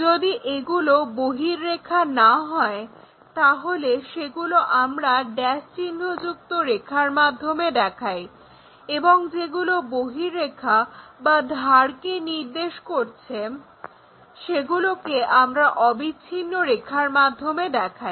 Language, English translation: Bengali, Unless these are outlines we show them by dash lines, any out lines or the edge kind of things we have to show it by continuous lines